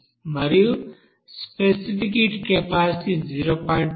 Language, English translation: Telugu, And specific heat capacity it is given 0